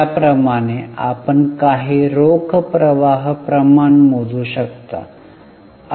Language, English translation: Marathi, Like that you can calculate a few cash flow ratios